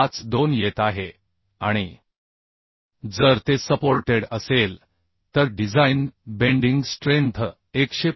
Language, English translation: Marathi, 52 and if it is supported then the design bending strength is coming 125